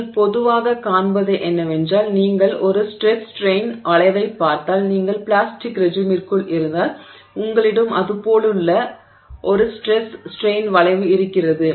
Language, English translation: Tamil, So, what you will typically see, right, so what you will typically see if you look at a stress strain curve is that if you are in the plastic regime, so you have a stress strain curve that looks like that and let's say this is the up to here is the elastic regime